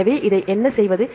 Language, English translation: Tamil, So, what to do with this